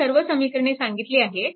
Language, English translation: Marathi, You solve equation 1 and 2